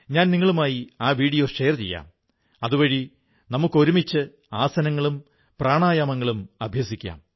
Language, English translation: Malayalam, I will share these videos with you so that we may do aasans and pranayam together